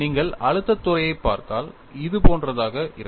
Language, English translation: Tamil, And if you look at the stress field, it would be something like this